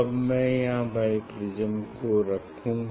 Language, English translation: Hindi, This is the now I place bi prism